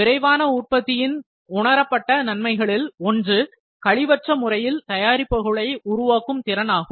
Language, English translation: Tamil, One of the perceived benefits of rapid manufacturing is the potential to create products with zero waste